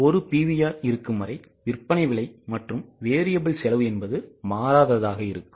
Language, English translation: Tamil, Unless and until the selling price and variable costs don't change, there will be only one PVR